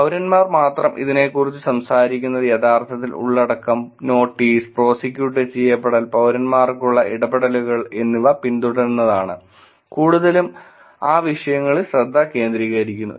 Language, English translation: Malayalam, In terms of only citizens talking about it is actually following the content, notice, prosecuted, the interactions that citizens have, is mostly focused on those topics